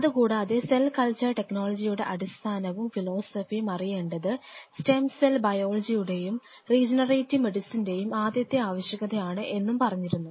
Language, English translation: Malayalam, Apart from it we highlighted the fact that understanding the fundamentals of cell culture technology and the basic philosophies will be one of the very basic prerequisites for stem cell biology and regenerative medicine